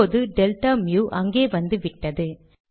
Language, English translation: Tamil, Now delta mu has come there